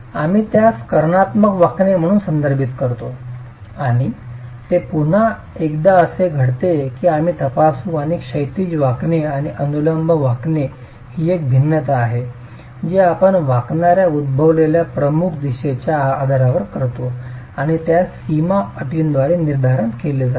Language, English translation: Marathi, You refer to that as diagonal bending and that's again a case that we will examine and horizontal bending and vertical bending is a differentiation that we make based on the predominant direction in which the bending is occurring and that is dictated by the boundary conditions